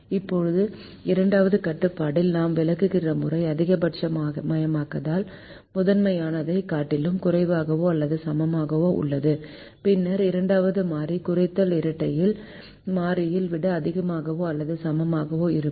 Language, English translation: Tamil, now the way we explain is: in the second constraint is a less than or equal to constraint in a maximization primal, then the second variable will be a greater than or equal to variable in the minimization dual